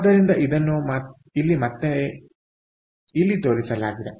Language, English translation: Kannada, so this is what is shown here in this